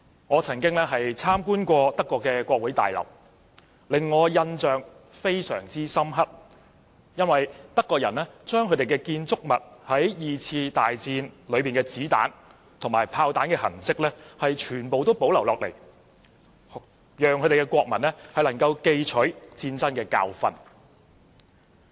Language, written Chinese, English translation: Cantonese, 我曾經參觀德國國會大樓，令我印象非常深刻的是，德國人把二次大戰時子彈和炮彈留在建築物的痕跡全部保留下來，讓國民記取戰爭的教訓。, I was very impressed when I visited the parliament building in Germany . The Germans retained all traces left by bullets and shells on the building during the Second World War so as to remind its people of the lessons of the war